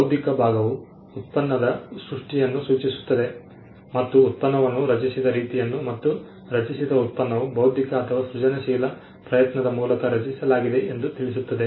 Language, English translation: Kannada, The intellectual part refers to the creation of the product the way in which the product the resultant product was created which was through an intellectual or a creative effort